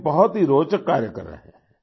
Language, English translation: Hindi, He isdoing very interesting work